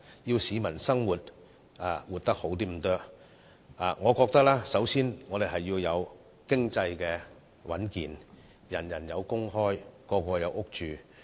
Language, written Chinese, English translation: Cantonese, 想市民改善生活，我認為首要須做到經濟穩健，人人有工作，大家有屋住。, In order to improve the living of the people the first thing to do is to achieve fiscal sustainability and ensure that everyone has a job and a shelter